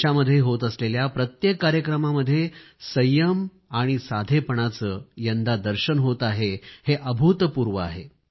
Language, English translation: Marathi, At every event being organised in the country, the kind of patience and simplicity being witnessed this time is unprecedented